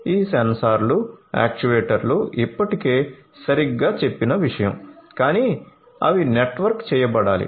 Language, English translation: Telugu, So, these sensors actuators is something that I have already mentioned right, but they will have to be networked